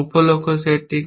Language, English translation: Bengali, What is the sub goal set